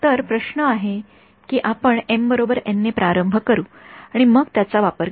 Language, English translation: Marathi, So, the question is what we start with m equal to n and then use that